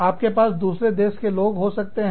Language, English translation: Hindi, You could have people from, other countries